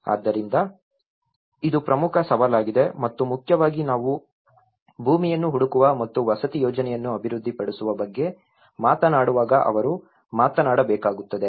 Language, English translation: Kannada, So this becomes one of the important challenge and mainly they also have to talk about when we are talking about finding a land and developing a housing project